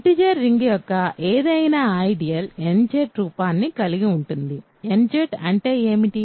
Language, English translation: Telugu, So, any ideal of the ring of integers has the form nZ remember what is a nZ